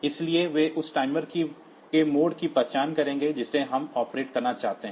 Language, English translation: Hindi, So, they will identify the mode of the mood of the timer that we want to operate